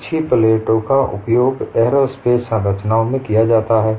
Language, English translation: Hindi, Also skewed plates are used in aerospace structures